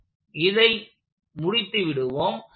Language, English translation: Tamil, So, let us complete this